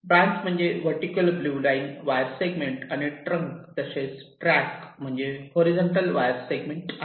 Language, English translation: Marathi, you recall the definitions: branch is a vertical wire segment and trunk and tracks are horizontal wire segments